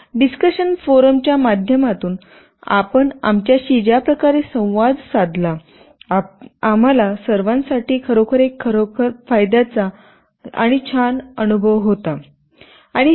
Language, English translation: Marathi, The way you interacted with us through the discussion forum, it was really a very rewarding and enlightening experience for all of us